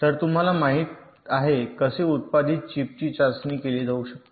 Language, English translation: Marathi, so you know how ah manufacture chip can be tested